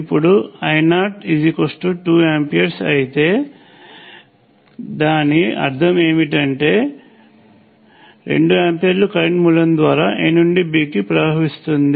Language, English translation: Telugu, So if I naught happens to be 2 amperes, what it means is that 2 amperes flows from A to B through the current source